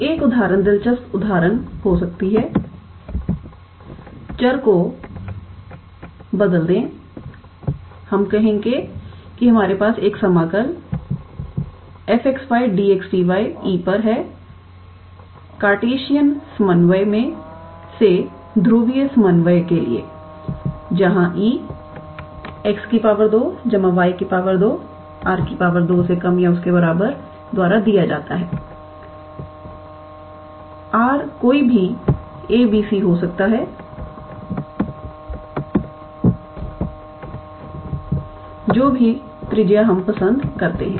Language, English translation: Hindi, So, an example interesting example could be; change the variable let us say any we have an integral over the region E f x y, change the variable f x y d x d y to the polar coordinate from Cartesian coordinate; where E is given by x square plus y square is less or equal to let us say r square; r can be any a b c whatever radius we prefer